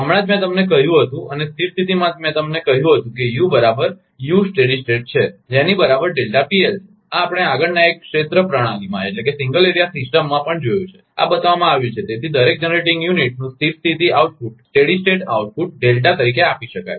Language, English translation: Gujarati, Just I told you and at steady state I told you that u is equal to u steady state is equal to delta P1, this we have seen also in the further single area system, this has been shown therefore, the steady state output of each generating unit can be given as delta